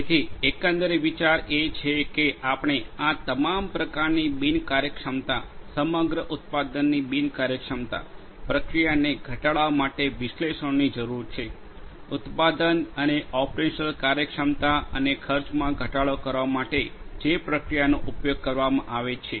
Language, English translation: Gujarati, So, the overall idea is we need analytics for reducing inefficiencies of all sorts, overall inefficiency of the product, the process; the process that is being used in order to manufacture the product and the operational efficiency and the expense reduction of the expenses